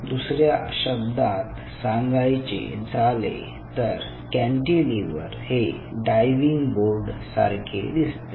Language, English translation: Marathi, in other word, these cantilever is just like i give you the example of that diving board